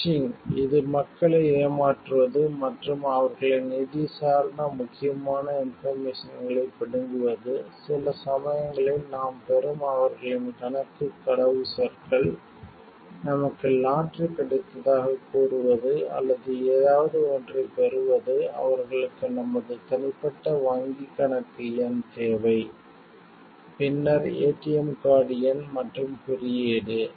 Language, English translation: Tamil, Phishing, it is deceiving people and churning out their financial important information like, their account passwords that we find sometimes we receive mails, telling us that we have got a lottery, or something and they want our personal bank account number, then maybe ATM card number and code